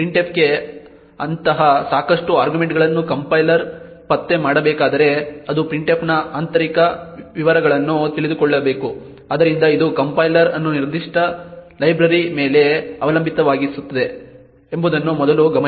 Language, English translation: Kannada, First note that if a compiler has to detect such insufficient arguments to printf it would need to know the internal details of printf therefore it would make the compiler dependent on a specific library